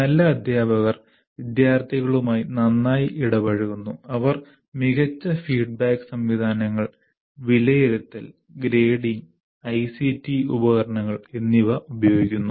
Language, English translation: Malayalam, Have teachers who interact with the students, well with the students, and have good systems of feedback, assessment and grading preferably using ICT tools these days